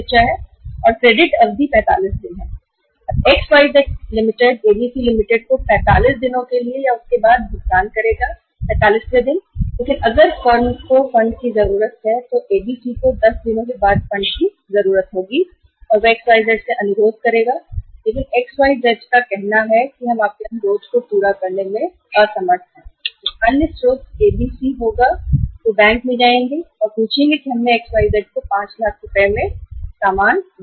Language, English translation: Hindi, XYZ Limited will pay to ABC Limited after 45 days or on the 45th day but if the firm needs the funds, ABC needs the funds after 10 days they would request XYZ but XYZ say we are unable to fulfill your request then the other source is ABC will go to the bank and they would ask that we have sold for 5 lakh rupees to XYZ Limited